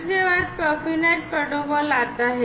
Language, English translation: Hindi, Next, comes the Profinet protocol